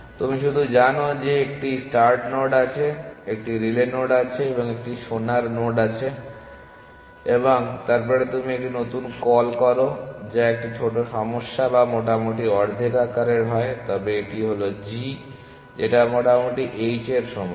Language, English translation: Bengali, All you know is that there is a start node there is a relay node and there is a gold node and then you making a fresh call which is to a smaller problem or roughly of half a size provided this is this holds that g is roughly equal to h